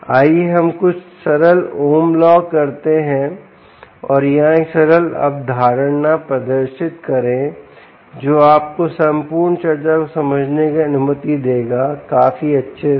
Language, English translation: Hindi, let us do some simple ohms law and demonstrate a simple concept here which will allow you to understand the whole discussion quite well